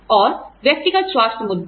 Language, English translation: Hindi, And, personal health issues